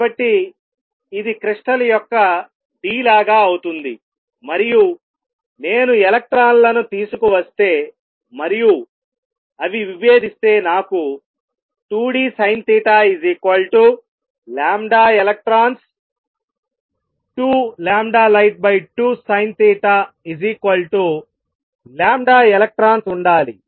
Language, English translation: Telugu, So, this becomes like the d of the crystal, and if I bring the electrons in and they diffract then I should have 2 d sin theta equals lambda electrons